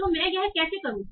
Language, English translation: Hindi, So how do I do that